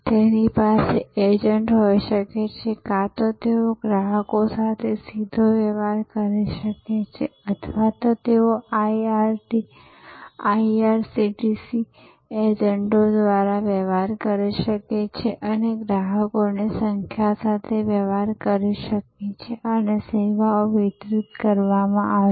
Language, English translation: Gujarati, They can have agents, either they can deal directly with customers or they can deal through IRCTC agents and deal with number of customers and the service will be delivered